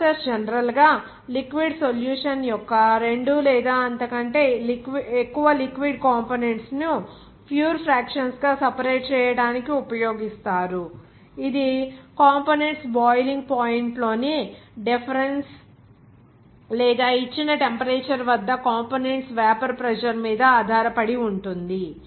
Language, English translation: Telugu, You can say that this process generally used to separate two or more liquid components of a liquid solution into pure fractions that depends upon the difference in the boiling point of the components or vapor pressure of the components at a given temperature